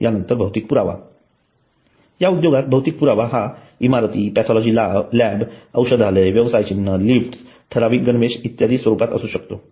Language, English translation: Marathi, And the physical evidence in this industry, physical evidence can be in the form of buildings, pathology labs, pharmacy center, logo, lifts, dress code, etc